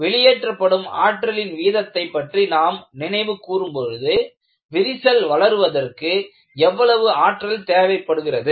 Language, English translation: Tamil, If you recall in the energy release rate, I said I want to find out, what is the energy required for the crack to grow